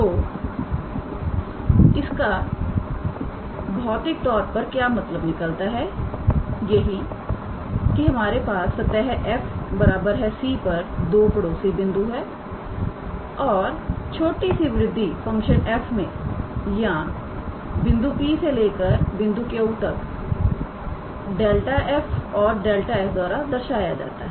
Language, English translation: Hindi, So, what it means physically is that we have two neighbouring points on the surface f x, y, z equals to C and then that is small increment in the function f or from the point P to Q is denoted by delta f and delta S